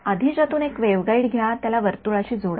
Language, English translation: Marathi, Take the waveguide from before join it into a circle ok